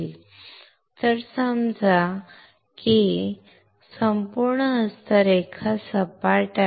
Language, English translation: Marathi, So, assume that this whole palm is flat